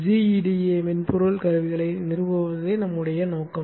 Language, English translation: Tamil, The plan is to install GEDA software toolset